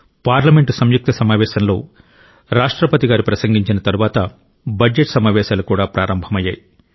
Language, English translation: Telugu, Following the Address to the joint session by Rashtrapati ji, the Budget Session has also begun